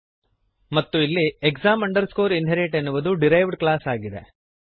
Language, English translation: Kannada, And here class exam inherit is the derived class